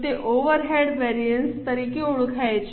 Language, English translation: Gujarati, They are known as overhead variances